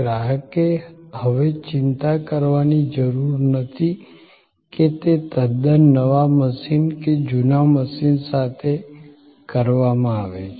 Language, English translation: Gujarati, The customer no longer had to bother that whether it was done with in brand new machine or with a second hand machine